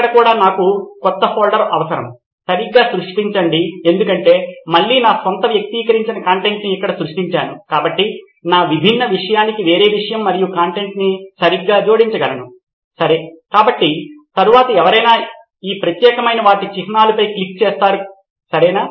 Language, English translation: Telugu, Here also I would need a new folder, create right because again creating my own personalised content here, so I can have a different subject and content for that different subject being added right, okay so the next would be someone clicking on any of this particular icons right